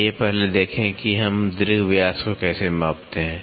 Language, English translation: Hindi, First let us see, how do we measure the major diameter